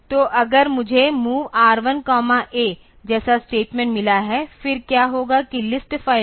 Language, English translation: Hindi, So, if I have got a statement like MOV say R1 comma A; then what will happen is that in the list file